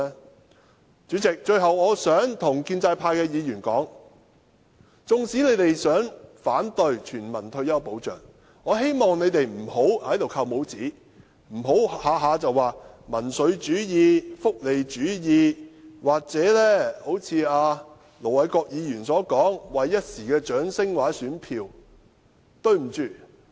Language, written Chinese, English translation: Cantonese, 代理主席，最後我想對建制派的議員說，縱使他們想反對全民退休保障，我希望他們也不要在此扣帽子，不要動輒談到甚麼民粹主義、福利主義，又或如盧偉國議員般說我們是為了一時的掌聲或選票。, Deputy President I have one final remark for Members from the pro - establishment camp . I hope that they though intending to oppose universal retirement protection will not resort to labelling here carry populism or welfarism whatsoever on their lips as their pet phrase or echo Ir Dr LO Wai - kwoks view that we are doing this in order to win momentary kudos or votes